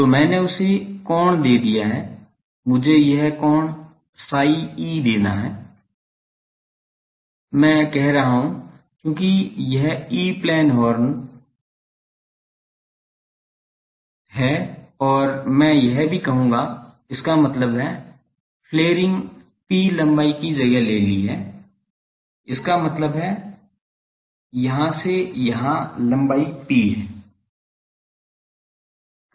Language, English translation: Hindi, So, I have given the thing the angle let me give this angle is psi E, I am saying because it is an E Plane horn and I will also say that; that means, the flaring that has taken place for an length P; that means, from here to hear the length is P